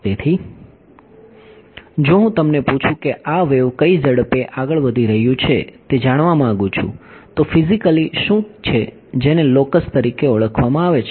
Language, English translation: Gujarati, So, if I ask you if I want to find out at what speed is this wave travelling then what is that physically known as is the locus of